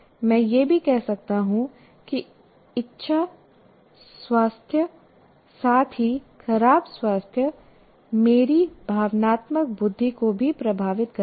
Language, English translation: Hindi, I can also say better health as well as bad health will also influence my emotional intelligence